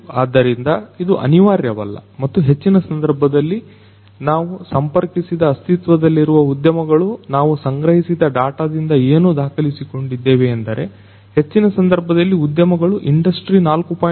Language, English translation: Kannada, So, it is not necessary and in most cases it is not the case that the existing industries that we have contacted, that we have collected the data from which we have recorded it is in most cases you will find that they do not already have the high standards towards industry 4